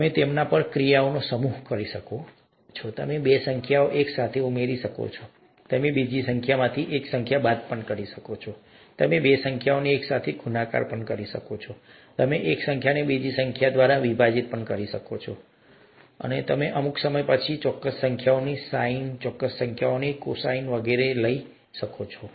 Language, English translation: Gujarati, You can perform a set of operations on them, you can add two numbers together, you can subtract one number from another, you can multiply two numbers together, you can divide one number by another, you can; if after a certain while, you can take the sine of certain numbers, cosine of certain numbers, and so on so forth